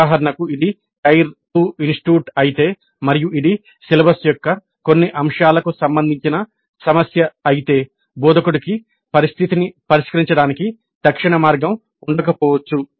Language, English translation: Telugu, For example if it is a tire to institute and if it is an issue related to certain aspect of the syllabus then the instructor may not have an immediate way of remedying that situation